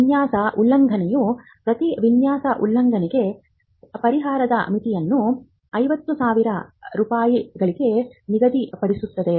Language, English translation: Kannada, The designs act sets the limit for compensation per design infringement at 50,000 rupees